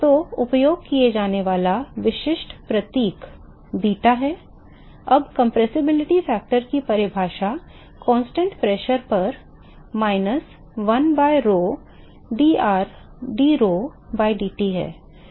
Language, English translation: Hindi, So, the typical symbol that is used is beta now the definition of compressibility factor is minus 1 by rho drho by dT at constant pressure